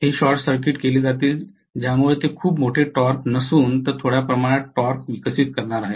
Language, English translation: Marathi, These are going to be short circuited because of which they are going to develop a small amount of torque not a very large torque